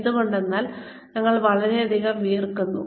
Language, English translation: Malayalam, Why because, we have been sweating too much